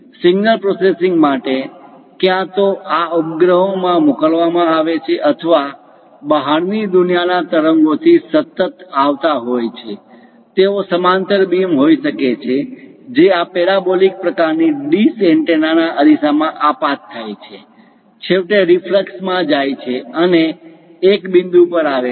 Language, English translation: Gujarati, For signal processing, either these satellites sending or from extraterrestrial waves are continuously coming; they might be parallel beams which strike this parabolic kind of dish antennas mirrors, goes finally in reflux and converge to one point